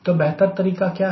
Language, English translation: Hindi, so what is a better approaches